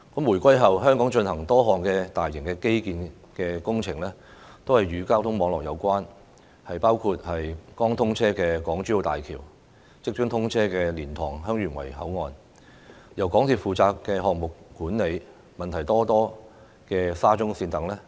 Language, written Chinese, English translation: Cantonese, 回歸後，香港進行的多項大型基建工程，均與交通網絡有關，包括剛通車的港珠澳大橋、即將通車的蓮塘/香園圍口岸，以及由港鐵公司負責項目管理、問題叢生的沙中線等。, A number of major infrastructure projects carried out in Hong Kong after the reunification are related to transport networks . They include the recently opened Hong Kong - Zhuhai - Macao Bridge the soon - to - be - commissioned LiantangHeung Yuen Wai Boundary Control Point and the problem - stricken SCL project managed by MTRCL